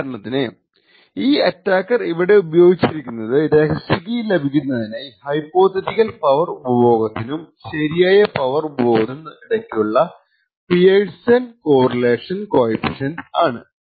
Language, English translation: Malayalam, So, what we considered in this example was that the attacker uses the Pearson’s correlation coefficient between a hypothetical power consumed and the actual power consumed in order to identify the correct secret key